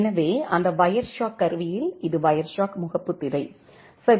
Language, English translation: Tamil, So, in that Wireshark tool, this is the Wireshark home screen ok